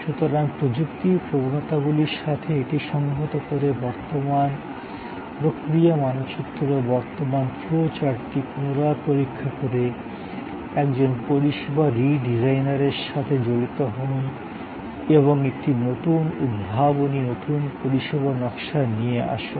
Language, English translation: Bengali, So, engage with a service redesign by re examining the current process map, the current flow chart, integrating it with technology trends and come up with a new innovative, new service design